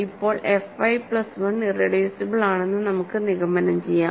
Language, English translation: Malayalam, Now, we can to conclude that f y plus 1 is irreducible